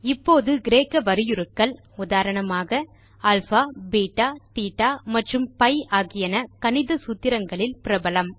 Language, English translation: Tamil, Now Greek characters, for example, alpha, beta, theta and pi are common in mathematical formulas